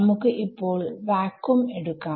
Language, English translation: Malayalam, Yeah, I am taking vacuum